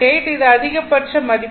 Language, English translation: Tamil, 8 this is the maximum value